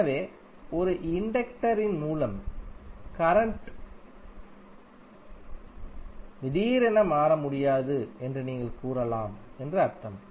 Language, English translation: Tamil, So it means that you can say that current through an inductor cannot change abruptly